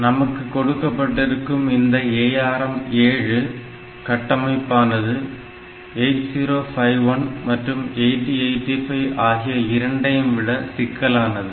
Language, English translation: Tamil, So, in ARM7 we have got a much more complex architecture compared to say 8051 or 8085